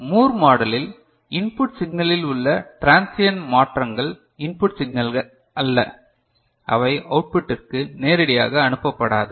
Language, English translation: Tamil, And in Moore model, any transients in the input circuit is not input signal, is not passed to the output directly